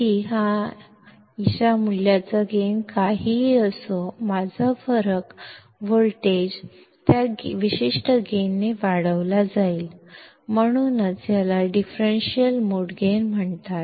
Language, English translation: Marathi, Whatever is the gain of value of Ad; my difference voltage would be amplified by that particular gain and that is why Ad is called the differential mode gain